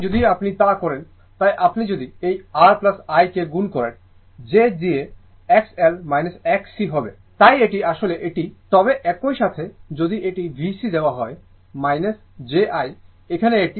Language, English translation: Bengali, So, if you do, so if you multiply this R plus I into j X L minus X C, so this is actually this, but at the time same time if it is V C is given minus j